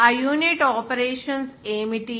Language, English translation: Telugu, What is that unit operations